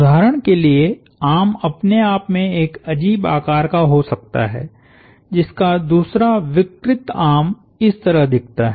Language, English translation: Hindi, For example, the arm itself could have been a weird shape kind of like that with a second perverted arm that looks like this